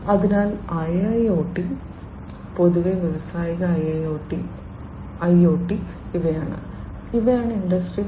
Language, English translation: Malayalam, So, IIoT, IoT in general and industrial IoT, these are the ones, which essentially will help achieve the objectives of Industry 4